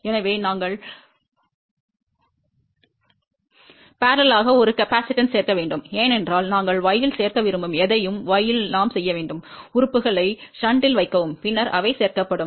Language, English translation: Tamil, So, we have to add a capacitance in parallel because anything you want to add in y, in y we have to put the elements in shunt, then they get added